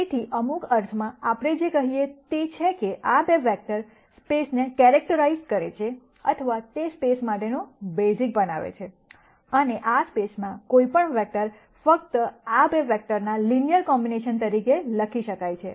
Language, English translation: Gujarati, So, in some sense what we say is that, these 2 vectors characterize the space or they form a basis for the space and any vector in this space can simply be written as a linear combination of these 2 vectors